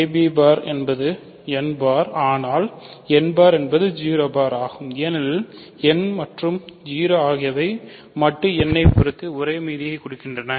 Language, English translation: Tamil, So, a b bar is n bar, but n bar is 0 bar because n and 0 have the same residue modulo n